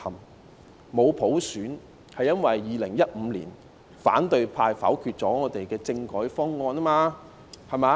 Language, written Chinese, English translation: Cantonese, 我們沒有普選是因為2015年反對派否決我們的政改方案。, We do not have universal suffrage because the opposition camp voted down the constitutional reform package in 2015